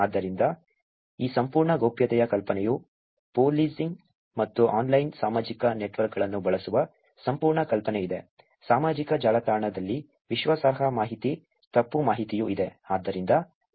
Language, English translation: Kannada, So, there is this whole idea of privacy the whole idea of using policing and online social networks, there is also credible information, misinformation on social network